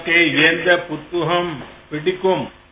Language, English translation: Tamil, Which book do you like a lot